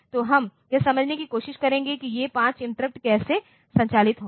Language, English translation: Hindi, So, we will try to understand how these 5 interrupts will operate